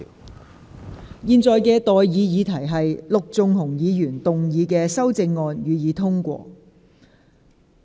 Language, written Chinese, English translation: Cantonese, 我現在向各位提出的待議議題是：陸頌雄議員動議的修正案，予以通過。, I now propose the question to you and that is That the amendments moved by Mr LUK Chung - hung be passed